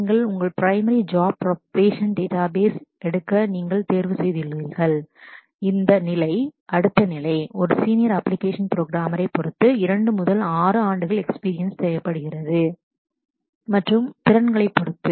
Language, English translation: Tamil, If you if you choose to take up databases as your primary job profession, this next level is a senior application programmer which requires 2 to 6 years of experience depending on the organization and depending on your skills